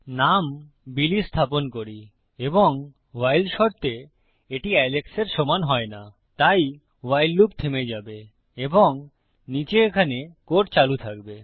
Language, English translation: Bengali, The name would be set to Billy and in the while condition it doesnt equal Alex.So the WHILE loop will stop and the code down here will continue